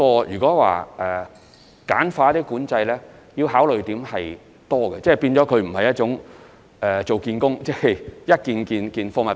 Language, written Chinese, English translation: Cantonese, 如果要簡化管制，我們須考慮的地方很多，因為所涉及的工作並非處理一件貨物。, If control has to be streamlined we have to consider a number of factors because the work to be dealt with is not an object